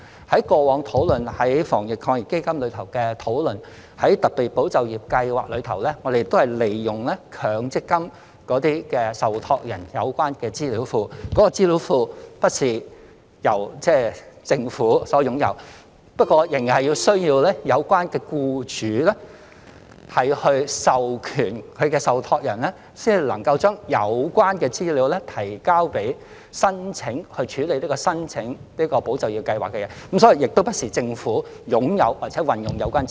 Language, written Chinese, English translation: Cantonese, 在過往討論防疫抗疫基金時，在特備"保就業"計劃中，我們也是利用強積金受託人的有關資料庫，而這個資料庫並不是由政府擁有的，仍然需要有關僱主授權其受託人，才能夠把有關資料提交，從而申請"保就業"計劃，所以問題不在於政府是否擁有和可否運用有關資料。, When we discussed the Anti - epidemic Fund in the past for the specifically drawn - up Employment Support Scheme we also made use of the relevant database owned by MPF trustees rather than by the Government hence still requiring the employers concerned to authorize their trustees in order for the relevant data to be submitted for the application to the Employment Support Scheme . Therefore the question is not whether the Government owns the relevant data nor whether it can use that data